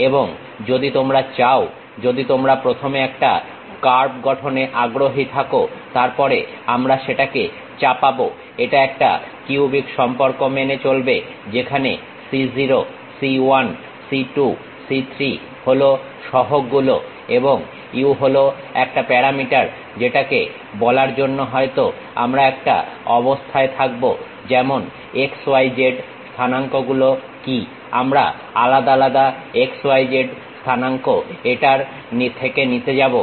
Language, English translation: Bengali, And if you want to, if you are interested in constructing a curve first, then we will impose that, it satisfy a cubic relation where c0, c 1, c 2, c 3 are the coefficients and u is a parameter which we might be in a position to say it like, what are the x y z coordinates, different x y z coordinates we are going to plug it